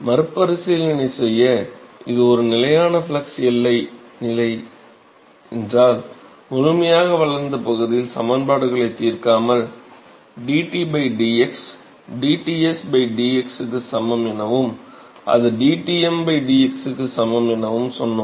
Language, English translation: Tamil, So, just to recap, we said if it is a constant flux boundary condition, so, note that without solving equations in the fully developed region, we said that dT by dx that is equal to dTs by dx that is equal to dTm by dx and that is equal to constant ok